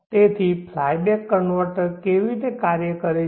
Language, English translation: Gujarati, So that is how the fly back converter works